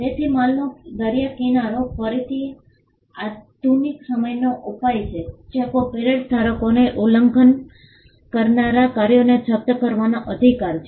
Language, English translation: Gujarati, So, seashore of goods is again a modern day remedy where a copyright holder has the right to seize the infringing works